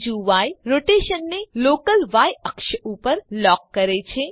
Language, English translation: Gujarati, The second y locks the rotation to the local y axis